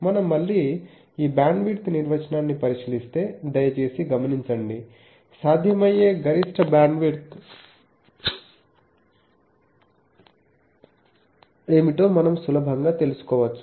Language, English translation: Telugu, And if we again look at this bandwidth definition please note that, we can easily find out that what is the maximum bandwidth that is possible